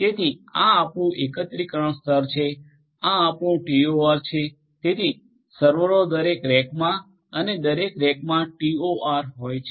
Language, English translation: Gujarati, So, this becomes your aggregation layer, this becomes your TOR so, servers in a rack each rack having a TOR